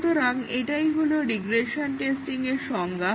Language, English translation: Bengali, So, this is the definition of regression testing